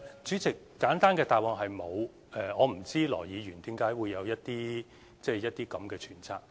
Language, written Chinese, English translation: Cantonese, 主席，簡單的答覆是沒有的，我不知道羅議員為何會有這樣的揣測。, President the simple answer is no . I do not know why Mr LAW should have such a suspicion